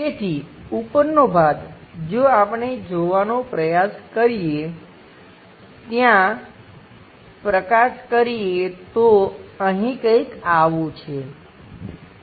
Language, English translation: Gujarati, So, the top portion, if we are trying to look at, there are lights here something like this